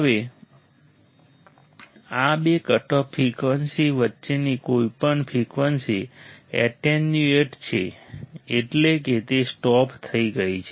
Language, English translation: Gujarati, Now, any frequencies in between these two cutoff frequencies are attenuated that means, they are stopped